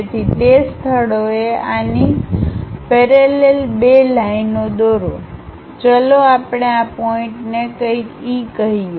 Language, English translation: Gujarati, So, at those locations draw two lines parallel to this one, let us call this point as something E